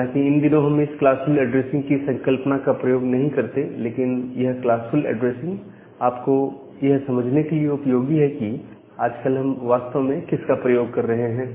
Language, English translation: Hindi, So, although nowadays we do not use this classful addressing concept, but this idea of classful addressing is useful for you to understand that what we are actually using nowadays